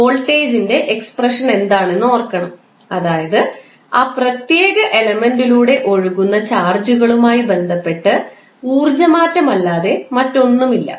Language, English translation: Malayalam, You have to recollect what is the expression for voltage, that is nothing but change in energy with respect to charges flowing through that particular element